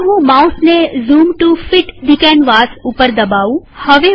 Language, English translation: Gujarati, Let me release the mouse at Zoom to fit the canvas